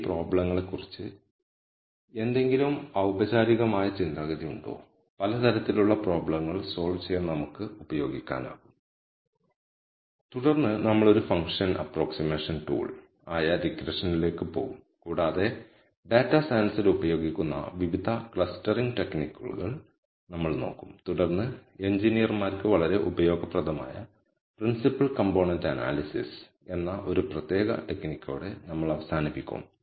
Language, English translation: Malayalam, Is there some formal way of thinking about these problems; that we can use to solve a variety of problems and then we will move on to regression as a function approximation tool and we will look at different clustering techniques that are used in data science and then we will nally conclude with one particular technique called principle component analysis which is very useful for engineers and end with more general example of how one solves real life data science problems